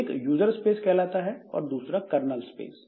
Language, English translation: Hindi, One is called the user space, one is called the user space and other is called the kernel space